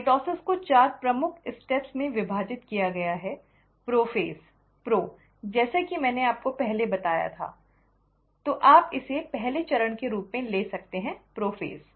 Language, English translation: Hindi, The mitosis is divided into four major phases; prophase, pro as I told you means before, so you can take this as the first step, the prophase